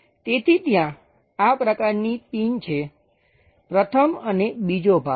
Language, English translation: Gujarati, So, such kind of pin is there; the first and second part